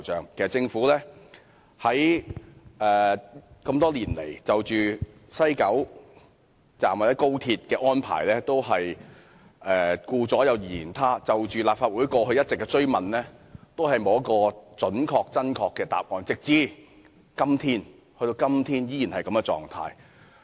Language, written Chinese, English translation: Cantonese, 其實政府這麼多年來就西九龍站或高鐵的安排都是顧左右而言他，就立法會過去一直的追問，都沒有給予準確、真確的答覆，直至今天政府依然保持這種態度。, Actually over the years the Government has been very evasive on the arrangements for West Kowloon Station or the Guangzhou - Shenzhen - Hong Kong Express Rail Link XRL . It has not provided any accurate or serious replies to the questions raised in the Legislative Council . Even now the Governments attitude is still the same